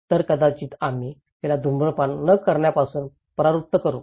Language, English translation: Marathi, So, maybe we can discourage her not to smoke